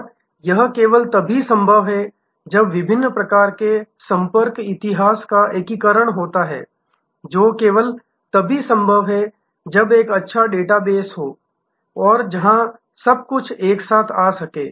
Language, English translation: Hindi, And that is only possible when there is an integration of the different types of contact history, which is only possible when there is a good database, where everything can come together